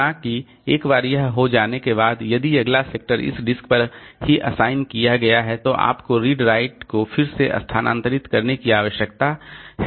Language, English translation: Hindi, However, once this is done, now if the next sector was assigned on this disk itself, then you need to move the redried head again